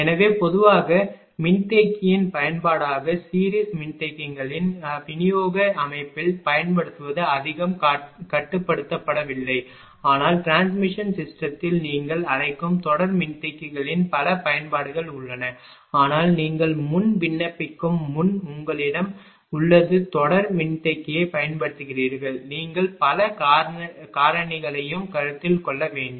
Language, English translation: Tamil, So, generally ah as it is application of capacitor that series capacitors ah used in distribution system is not much it is restricted, but in transmission system that ah your what you call that many applications of series capacitors are there, but there you have before appli[cation] before ah you are using series capacitor you have to consider many other other factors also